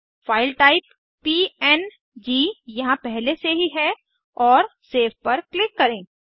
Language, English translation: Hindi, The File type is already here png , and click Save